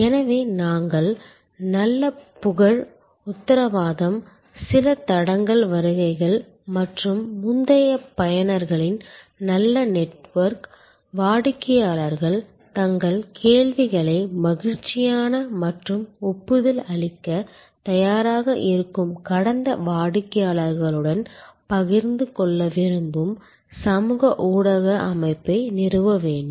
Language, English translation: Tamil, And so we need to establish a good framework of reputation, guarantee, warranty some trail visits and good network of previous users, social media setup for intending customers to share their queries with past customers who are happy and ready to endorse you and so on